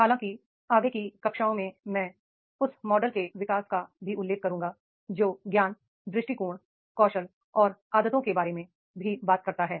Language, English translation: Hindi, However, in the further classes I will also mention a development of the model that talks about knowledge, attitude, skill and habits also